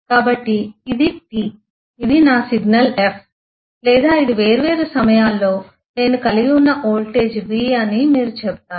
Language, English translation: Telugu, So, this is you’ll say this is T this is my signal f or this is a voltage v that I have at different times